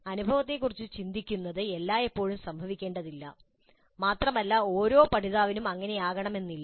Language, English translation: Malayalam, Reflecting on the experience need not necessarily happen always and need not be the case for every learner